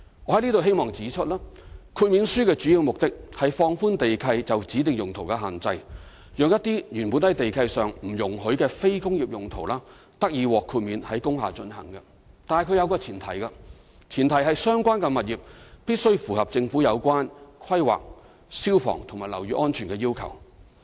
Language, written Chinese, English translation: Cantonese, 我希望在此指出，豁免書的主要目的，是放寬地契就指定用途的限制，讓一些原本在地契上不容許的非工業用途，得以獲豁免在工廈進行，但前提是相關物業必須符合政府有關規劃、消防和樓宇安全的要求。, I wish to point out here that the main purpose of a waiver is to relax restrictions on land leases for specific uses so as to enable some non - industrial uses which are originally not allowed in the land leases to be conducted in industrial buildings provided that the premises concerned comply with the relevant government requirements on planning fire and building safety